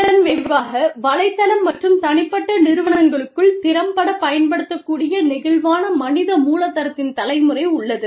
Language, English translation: Tamil, The result of this is, there is generation of flexible human capital, which can be effectively deployed across the network, as well as, within individual firms